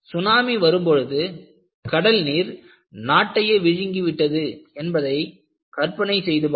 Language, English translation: Tamil, You know, you can imagine, tsunami comes and you have sea water engulfs the country